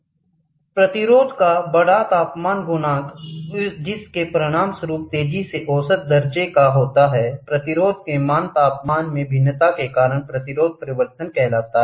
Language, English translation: Hindi, The large temperature coefficient of resistance resulting in rapidly measurable values of resistance says resistance changes due to variation in temperature